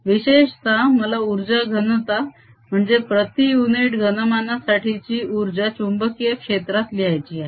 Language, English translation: Marathi, in particular, i want to get the energy density, energy per unit volume in terms of magnetic field